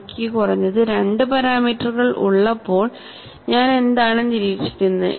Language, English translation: Malayalam, So, when I have minimum of 2 parameters, what do I observe